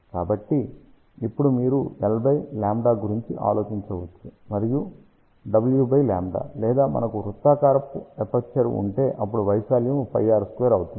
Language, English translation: Telugu, So, now, you can think about L by lambda and W by lambda; or if we have a circular aperture then area will be pi r square